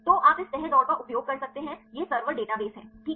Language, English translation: Hindi, So, you can use this folding race right this is server come database, right